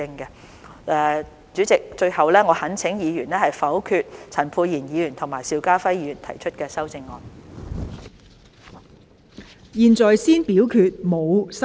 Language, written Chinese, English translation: Cantonese, 代理主席，最後我懇請議員否決陳沛然議員和邵家輝議員提出的修正案。, Deputy Chairman lastly I urge Members to vote down the amendments proposed by Dr Pierre CHAN and Mr SHIU Ka - fai